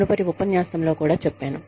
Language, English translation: Telugu, I told you, in the previous lecture, also